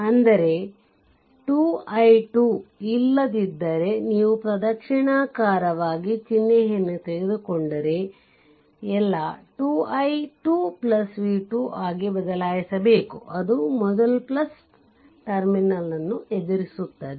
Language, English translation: Kannada, So, it will be 2 into i 2 that 2 into i 2 right otherwise clockwise if you take sign has to be change thats all 2 into i 2 plus this v v 2 it is encountering plus terminal first